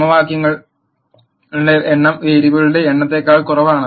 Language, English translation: Malayalam, The number of equations are less than the number of variables